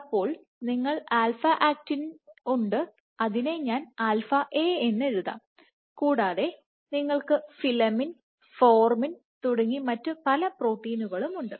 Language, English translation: Malayalam, So, you have alpha actinin, I will write alpha A, you can have filamin, you can have formin and various other protein